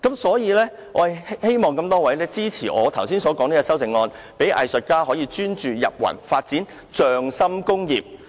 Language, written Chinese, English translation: Cantonese, 所以，我希望大家支持我的修正案，讓藝術家可以專注、"入魂"，發展"匠心工業"。, Therefore I hope Members will support my amendment with a view to enabling artists to concentrate on what they do and put their souls into their works as well as developing craftsmanship as an industry